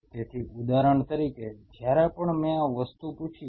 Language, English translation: Gujarati, So, say for example, whenever I asked this thing